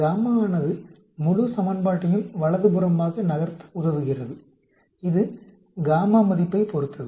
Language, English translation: Tamil, Gamma is helping you to shift the entire equation to the right it depending upon the gamma value